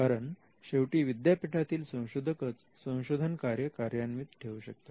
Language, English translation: Marathi, So, at the end of the day it is the people in the university who are going to do this research